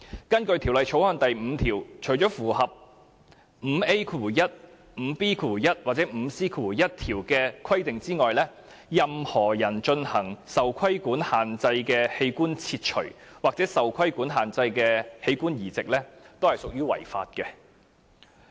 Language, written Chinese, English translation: Cantonese, 根據《條例》第5條，除符合第 5A1、5B1 或 5C1 條的規定外，任何人進行受規限器官切除或受規限器官移植，均屬違法。, Under section 5 of Cap . 465 except as provided in sections 5A1 5B1 or 5C1 any person who carries out a restricted organ removal or a restricted organ transplant is guilty of an offence